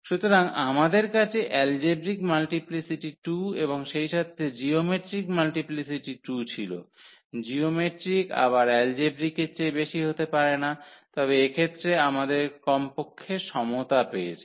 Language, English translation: Bengali, So, we have the algebraic multiplicity 2 and as well as the geometric multiplicity 2; geometric cannot be more than the algebraic one again, but in this case we got at least the equality